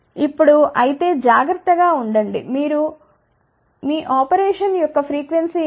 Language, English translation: Telugu, Now; however, be careful what is your frequency of operation ok